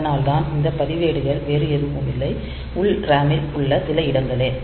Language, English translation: Tamil, So, they are nothing, but some locations in the internal RAM